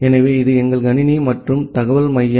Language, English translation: Tamil, So, this is our computer and informatics center